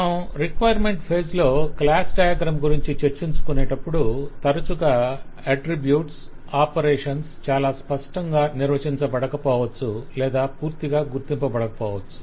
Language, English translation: Telugu, when you talk about class diagram at the requirement phase, it is often that the attributes and operations, the properties and operations, need not have been very clearly defined, May not have been totally identified